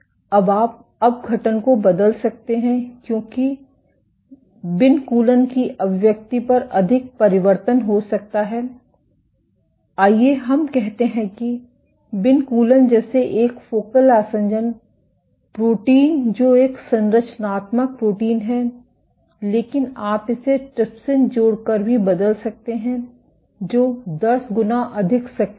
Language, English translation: Hindi, Now you can put up the adhesivity might change because of over expression of vinculin let us say, of a focal adhesion protein like vinculin which is a structural protein, but you can also change this by adding trypsin which is ten times more active